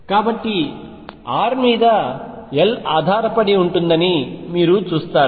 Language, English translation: Telugu, So, you see that r depends on l